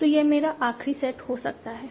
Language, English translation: Hindi, And this I can have a last set